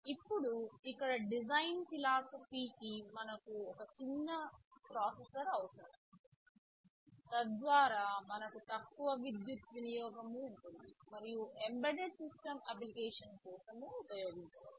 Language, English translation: Telugu, Now the design philosophy here was of course , first thing is that we need a small processor so that we can have lower power consumption and can be used for embedded systems application